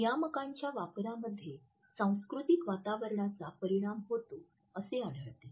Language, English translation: Marathi, In the use of regulators also we find that the impact of cultural conditioning is there